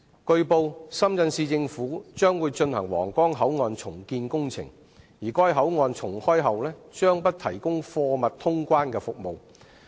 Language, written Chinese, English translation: Cantonese, 據報，深圳市政府將會進行皇崗口岸重建工程，而該口岸重開後將不提供貨物通關服務。, It has been reported that the Shenzhen Municipal Government will proceed with the reconstruction of the Huanggang Port and the Port will not provide cargo clearance service upon re - opening